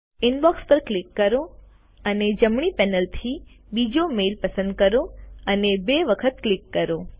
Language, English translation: Gujarati, Click on Inbox and from the right panel, select the second mail and double click on it